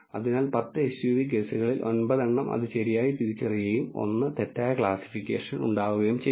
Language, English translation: Malayalam, So, out of the 10 SUV cases it has identified 9 correctly and there has been 1 mis classification